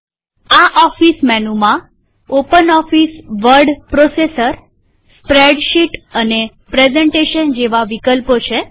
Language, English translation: Gujarati, Then further in this office menu we have openoffice word processor, spreadsheet and presentation